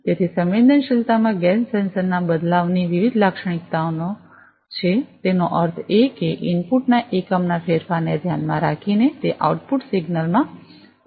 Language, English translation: Gujarati, So, there are different characteristics of the gas sensor changes in the sensitivity; that means, it is the change in the output signal, with respect to the unit change in the input